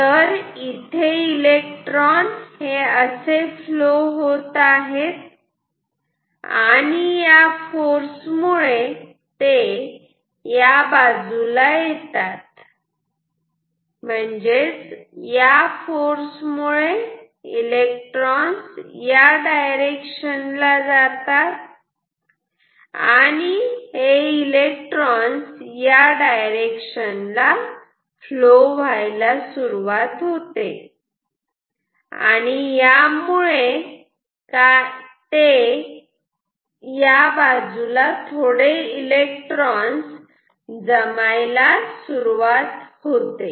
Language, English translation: Marathi, So, the electrons will have a force which will cause them to deviate in this direction and then so if electrons are flowing in this direction ok, it is possible that there will be some accumulation of electrons on this side ok